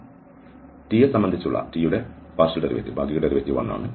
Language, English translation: Malayalam, So, the partial derivative t with respect to one